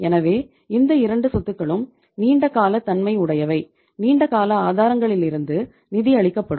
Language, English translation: Tamil, So both these assets will be being long term in nature will be funded from long term sources, LTS